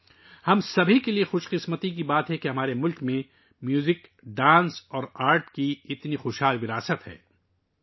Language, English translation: Urdu, It is a matter of fortune for all of us that our country has such a rich heritage of Music, Dance and Art